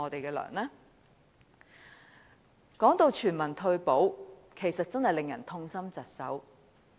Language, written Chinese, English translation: Cantonese, 談到全民退保，其實真的令人痛心疾首。, Speaking of universal retirement protection we really feel deeply grieved